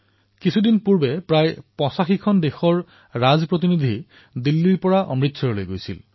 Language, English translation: Assamese, Just a few days ago, Ambassadors of approximately eightyfive countries went to Amritsar from Delhi